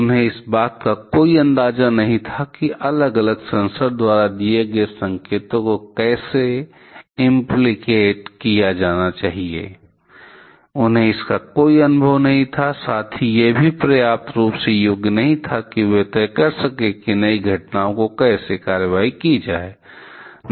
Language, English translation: Hindi, They did not have any idea about how to implicate the signals given by different sensors, they did not had any experience of, there also not properly qualified enough to decide what action to be taken against and unknown on new kind of incident